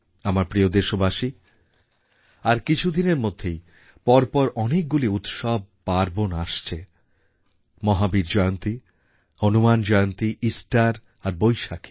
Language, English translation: Bengali, My dear countrymen, a spectrum of many festivals would dawn upon us in the next few days Bhagwan Mahavir Jayanti, Hanuman Jayanti, Easter and the Baisakhi